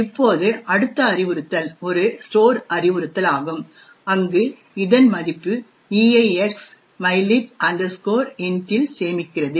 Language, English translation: Tamil, Now, the next instruction is a store instruction, where it stores a value of EAX to mylib int